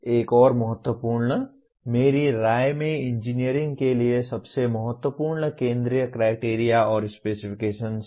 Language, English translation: Hindi, Coming to another important one in my opinion most central to engineering is criteria and specifications